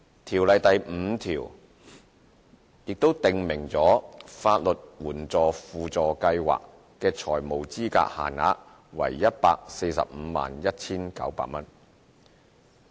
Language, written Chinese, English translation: Cantonese, 《條例》第 5A 條則訂明法律援助輔助計劃的財務資格限額為 1,451,900 元。, The financial eligibility limit for the Supplementary Legal Aid Scheme SLAS is 1,451,900 as specified in section 5A of LAO